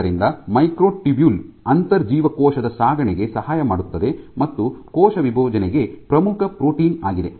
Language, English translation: Kannada, So, the microtubule is the one which aids in intra cellular transport and is a key protein for cell division